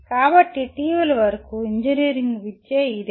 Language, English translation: Telugu, So this is what is the engineering education until recently